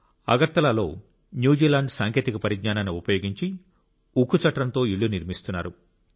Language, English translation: Telugu, In Agartala, using technology from New Zealand, houses that can withstand major earthquakes are being made with steel frame